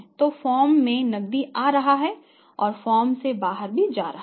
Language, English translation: Hindi, so, cash flow into the firm and out of the firm